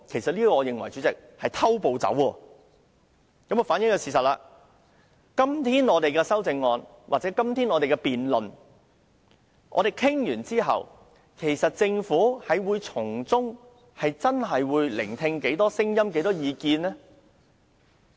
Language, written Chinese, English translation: Cantonese, 主席，我認為這種"偷步走"行為反映了事實——即使本會今天討論議案或完成辯論，政府會聆聽多少聲音和意見呢？, In my opinion her proposal for jumping the gun reflects the truth―how many voices and views will the Government heed even if the motion is discussed or the debate is concluded today?